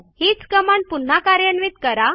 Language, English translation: Marathi, In order to repeat a particular command